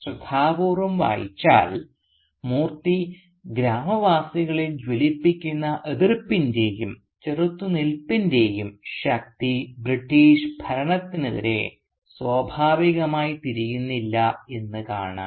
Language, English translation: Malayalam, A careful reading will reveal that the force of opposition and resistance that Moorthy kindles within the villagers does not automatically get directed against the British rule